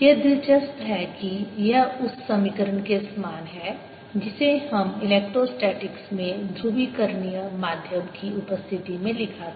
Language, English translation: Hindi, it's interesting that this is very similar to equation we wrote in electrostatics in presence of polarizable medium